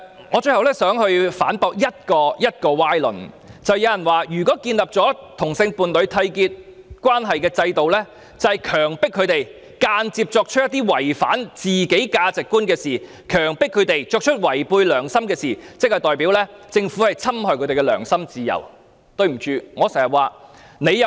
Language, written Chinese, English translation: Cantonese, 我最後想反駁一個歪論：有人指出如建立締結同性伴侶關係的制度，即是強迫他們間接作出一些違反自己價值觀和違背良心的事情，意味政府侵害他們的良心自由。, Finally I would like to refute a fallacy . Some people pointed out that with the introduction of a system for homosexual couples to enter into a union they would be forced to indirectly act against their own values and conscience meaning that the Government would infringe their freedom of acting according to their conscience